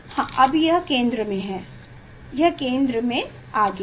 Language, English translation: Hindi, yes, now it is in centre ok, it is in centre